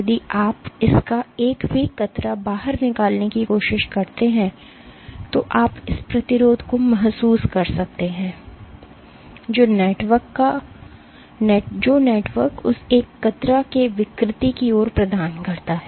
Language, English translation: Hindi, If you try to take out a single strand of it you can feel the resistance that the network provides towards deformation of that one strand